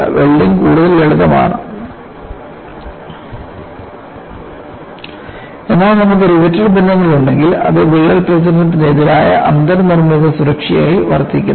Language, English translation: Malayalam, Welding is lot more simpler, but if you have riveted joints, it serves as in built safety against crack propagation